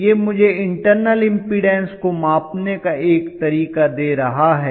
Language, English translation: Hindi, So, this is giving me a way to measure the internal impedance